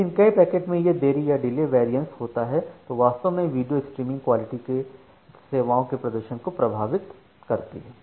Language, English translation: Hindi, But this delay variation among multiple packets that actually impact the performance of the quality of video streaming services